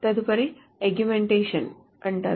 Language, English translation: Telugu, The next one is called augmentation